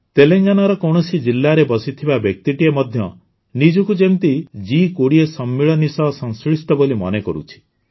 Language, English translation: Odia, I was very happy to see how connected even a person sitting in a district of Telangana could feel with a summit like G20